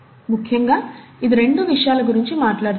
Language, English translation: Telugu, Essentially it talks about two things